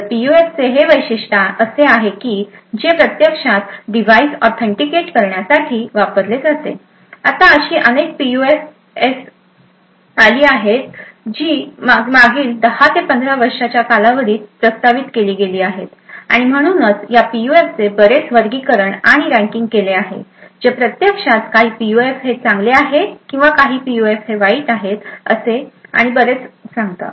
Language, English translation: Marathi, So, this feature of PUF is what is actually used to authenticate a device, now there have been several PUFS which have been proposed over the last 10 to 15 years or So, and therefore there has been various classification and ranking of these PUFs to actually sign some PUFs as good PUFs or some as bad PUFs and so on